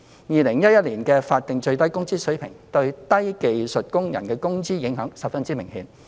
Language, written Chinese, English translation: Cantonese, 2011年推行的法定最低工資水平對低技術工人工資的影響十分明顯。, The SMW rate introduced in 2011 had very obvious effect on the wages of low - skilled workers